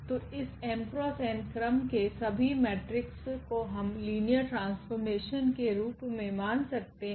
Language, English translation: Hindi, So, all matrices of order this m cross n we can think as linear map